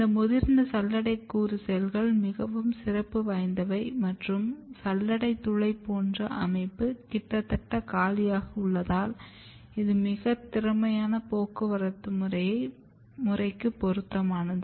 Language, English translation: Tamil, And as I say this mature sieve element cells is very special it has this sieve pore like structure this is almost empty, so it is very suitable for very high or efficienttransport system